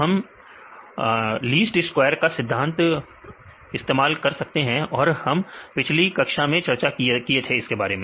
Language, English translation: Hindi, So, we can use the principle of least square and we discussed earlier in the previous classes